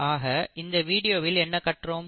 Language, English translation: Tamil, So what have we learnt in this video